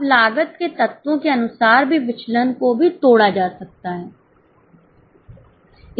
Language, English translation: Hindi, Now the variances can also be broken as per elements of cost